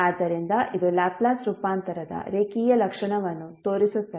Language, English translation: Kannada, So this will be showing the linearity property of the Laplace transform